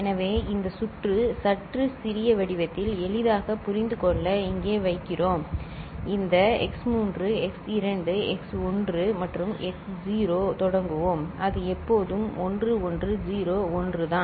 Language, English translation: Tamil, So, this circuit in a bit smaller form placed it here for easier understanding and we start with this x3 x2 x1 and x naught, it is always there 1101